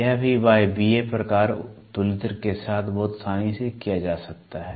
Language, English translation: Hindi, This also can be done very easily with the Pneumatic type comparator